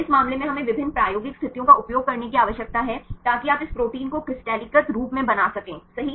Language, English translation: Hindi, So, in this case we need to use the different experimental conditions so that you can make this protein in a crystallized form right